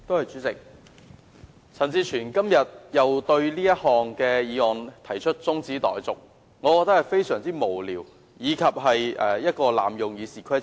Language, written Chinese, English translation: Cantonese, 主席，陳志全議員對這項議案又提出中止待續，我認為這個做法非常無聊，濫用《議事規則》。, President I find it utterly meaningless and an abuse of the Rules of Procedure RoP for Mr CHAN Chi - chuen to move a motion to adjourn the debate